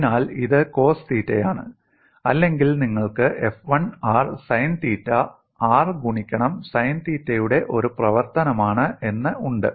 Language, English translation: Malayalam, So it is cos theta or you can also have f 1 r sin theta function of r into sin theta, and the function of r